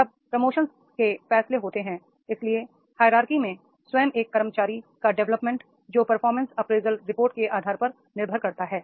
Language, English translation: Hindi, So, development of an employee himself in the hierarchy that depends on the basis of performance appraiser reports